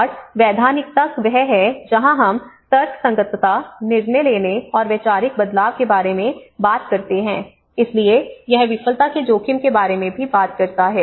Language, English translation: Hindi, And legitimation that is where we talk about rationalisation, decision faking, and ideological shifts you know this is where, so that is how it talks about the risk of failure as well